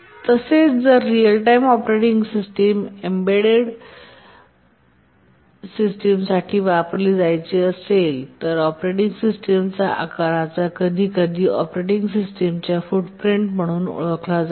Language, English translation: Marathi, Also, if the real time operating system is to be used for embedded systems, then the size of the operating system, sometimes called as the footprint of the operating system, needs to be very small